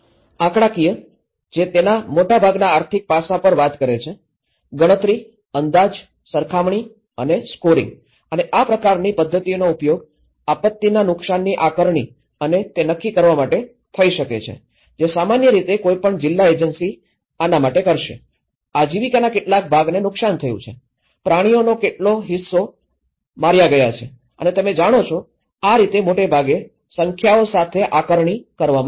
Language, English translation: Gujarati, Numerical, which is talking on most of the economic aspect of it; counting, estimating, comparing and scoring and methods of this kind could be used in assessing disaster losses and quantifying which normally any of the district agency is going to do on this, how much of the livelihood stock has been damaged, how much of the animals have been killed you know, this is how mostly assessed with the numbers